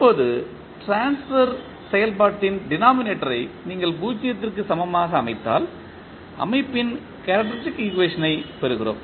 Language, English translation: Tamil, Now, the denominator of the transfer function if you set equal 0, we get the characteristic equation of the system